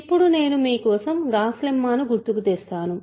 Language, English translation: Telugu, Now, I am going to recall for you the Gauss lemma